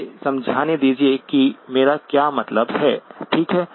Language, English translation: Hindi, Let me explain what I mean by that, okay